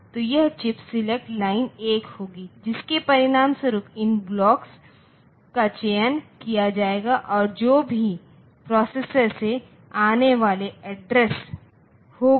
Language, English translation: Hindi, So, this chip select line will be 1 as a result these blocks will be selected and the whenever the, whatever be the address coming from the processor